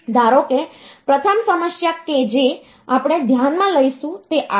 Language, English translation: Gujarati, Suppose we are, the first problem that will consider is say this one